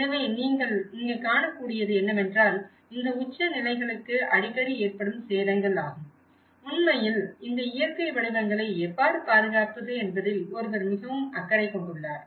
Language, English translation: Tamil, So, what you can see here is like you can see the frequent damages, which is occurring to these pinnacles and in fact, one is also very much concerned about how to protect these natural forms